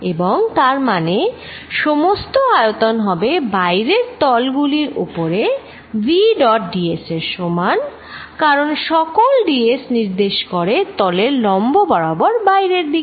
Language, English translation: Bengali, And that means, entire volume is going to be equal to v dot d s over the outside surfaces, because d s is all pointing a perpendicular pointing away from this surface